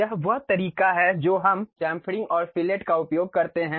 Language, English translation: Hindi, This is the way we use chamfering and fillet